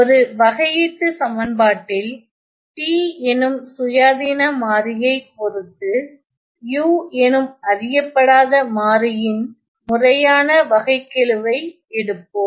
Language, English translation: Tamil, In a differential equation we take the proper derivative of the variable, the unknown variable u, with respect to the independent variable t